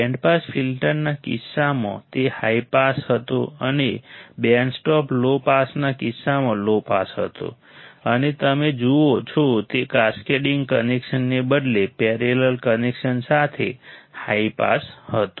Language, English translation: Gujarati, In case of the band pass filter, it was high pass and low pass in case band stop low pass and high pass with a parallel connection instead of cascading connection you see